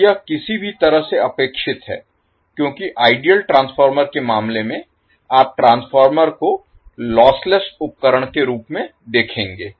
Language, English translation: Hindi, Now, this is any way expected because in case of ideal transformer, you will take transformer as a lossless equipment